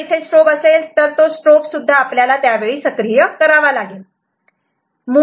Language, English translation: Marathi, So, if there is a strobe, strobe also will shall make activated at that time